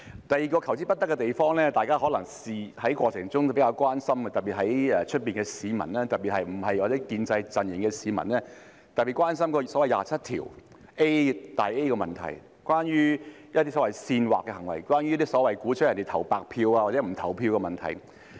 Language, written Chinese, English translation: Cantonese, 第二個求之不得的地方，大家可能在過程中也比較關心，特別是外面的市民，尤其是非建制陣營的市民，大家非常關注第 27A 條的問題，是關於一些所謂煽惑的行為，關於所謂鼓吹他人投白票或不投票的問題。, The second thing that we have fought for but failed to achieve is perhaps something that people are more concerned during the process . In particular the people outside especially people of the non - establishment camp are deeply concerned about section 27A which is related to the so - called incitement ie . instigating others to cast a blank vote or not to vote